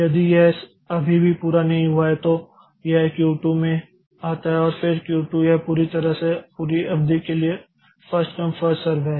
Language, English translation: Hindi, If it still is not completed so it comes to Q2 and then the Q2 from Q2 it is totally first come first up for the entire duration